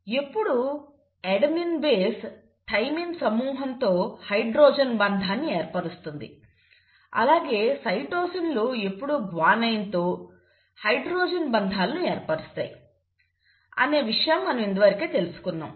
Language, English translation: Telugu, Now what do you mean by complimentary, we have already studied that always the adenine base will form a hydrogen bond with the thymine group while the cytosines will always form hydrogen bonds with the guanine